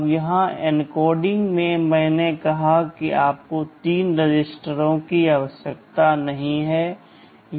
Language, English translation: Hindi, Now, here in the encoding I said you do not need three registers